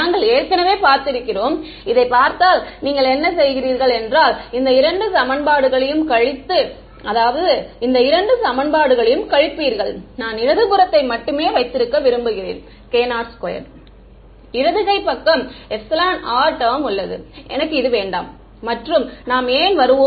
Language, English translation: Tamil, We have already seen this, what you do is you subtract these two equations and subtract these two equations and I want to keep the left hand side to have only k naught squared, I do not want this epsilon r term on the left hand side and we will come to why